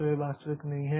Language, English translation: Hindi, So, that is there